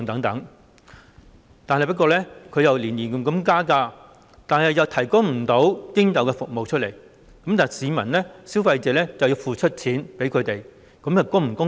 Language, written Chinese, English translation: Cantonese, 港鐵公司每年加價，卻不能提供應有的服務，市民或消費者則要付款給他們，這樣是否公道？, Is it fair for members of the public or consumers to pay MTRCL while it increases the fares every year but fails to deliver proper service?